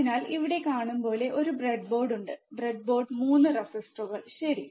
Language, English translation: Malayalam, So, there is a breadboard as you see here there is a breadboard 3 resistors, right